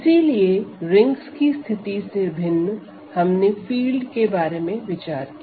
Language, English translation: Hindi, So, unlike in the rings case we usually considered fields when in this fashion